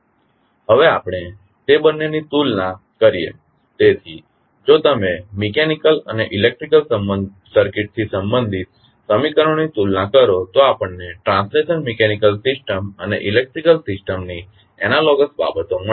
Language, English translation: Gujarati, Now, let us compare both of them, so, if you compare the equations related to mechanical and the electrical circuit, we will get the analogous quantities of the translational mechanical system and electrical system